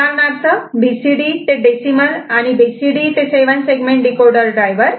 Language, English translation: Marathi, As for example, BCD to decimal and BCD to 7 segment decoder driver ok